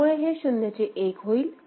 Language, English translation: Marathi, So, it becomes 0 to 1